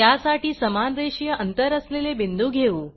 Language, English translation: Marathi, Let us create a sequence of equally spaced points